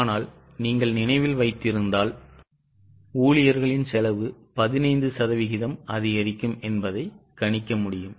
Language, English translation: Tamil, But if you remember it was given that employee cost is likely to increase by 15%